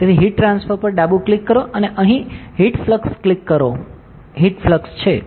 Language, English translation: Gujarati, So, go left click on heat transfer and click heat flux here, heat flux is there